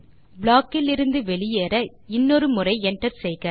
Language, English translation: Tamil, To get out of the block, hit enter once again